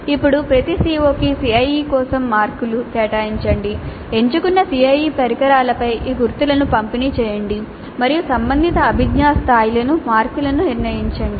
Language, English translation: Telugu, Then for each CO, allocate marks for CIE, distribute these marks over the selected CIE instruments and determine the marks for relevant cognitive levels